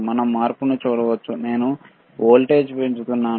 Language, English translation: Telugu, We can see the change; I am increasing the voltage, right